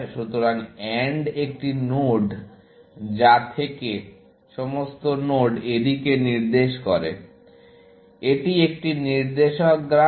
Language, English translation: Bengali, So, an AND node is a node from which, the choices, all the nodes that it points to; it is a directive graph